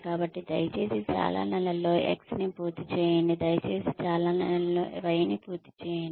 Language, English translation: Telugu, So, please finish X in so many months, please finish Y in so many months